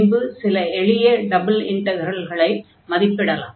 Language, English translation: Tamil, And today, we will be talking about Double Integrals